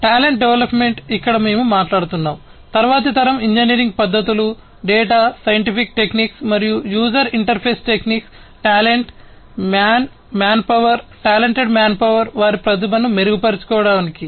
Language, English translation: Telugu, Talent development here we are talking about the use of different next generation engineering techniques, data scientific techniques, and user interface techniques to improve upon the talent man manpower, talented manpower, to improve upon their the improve their talent, and so on